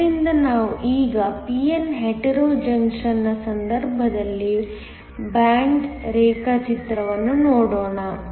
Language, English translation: Kannada, So, let us now look at a band diagram in the case of a p n Hetero junction